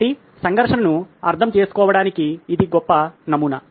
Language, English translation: Telugu, So, this is a great model to understand a conflict